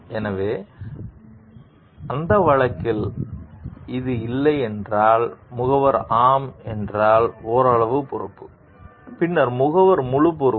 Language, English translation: Tamil, So, in that case if it is no then, the agent is partially responsible if yes, then the agent is fully responsible